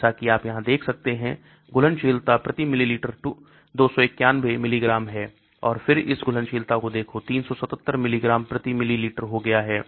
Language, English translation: Hindi, As you can see here, the solubility is 291 milligram per ml and then look at this solubility has become 377 milligrams per ml